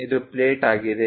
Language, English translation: Kannada, This is the plate